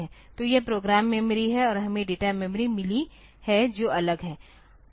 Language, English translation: Hindi, So, this is program memory and we have got the data memory which is separate